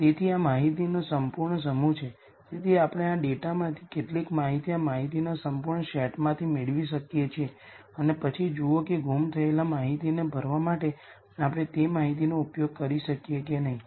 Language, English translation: Gujarati, So, this is a complete set of information, so we could possibly derive something out of this complete set of data some information out of this data and then see whether we could use that information to fill in the missing data